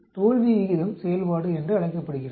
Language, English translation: Tamil, This is called the failure rate function